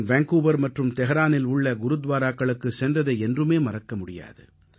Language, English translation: Tamil, I can never forget my visits to Gurudwaras in Vancouver and Tehran